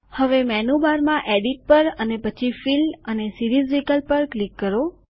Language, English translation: Gujarati, Now click on the Edit in the menu bar and then on Fill and Series option